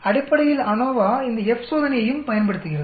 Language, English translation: Tamil, ANOVA also makes use of this F test basically